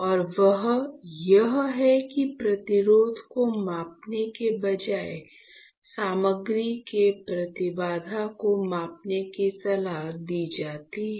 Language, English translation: Hindi, And that is why instead of measuring resistance it is advisable to measure the impedance of the material